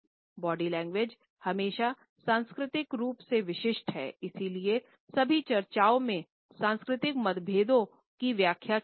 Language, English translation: Hindi, Body language as always cultural specific and therefore, in all my discussions I have tried to point out the cultural differences in the interpretations